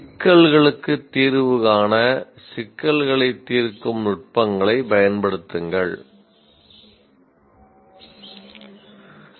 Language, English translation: Tamil, Apply problem solving techniques to find solutions to problems